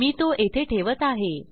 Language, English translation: Marathi, I am going to place it here